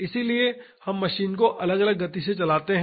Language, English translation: Hindi, So, we run the machine at different speeds